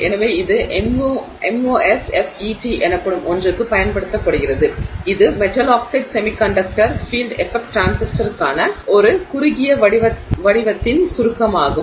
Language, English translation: Tamil, So, it is used for something called a MOSFET which is the it's an acronym for short form for metal, oxide, semiconductor, field effect transistor